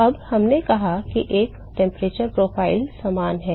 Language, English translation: Hindi, Now we said that there is a the temperature profile is similar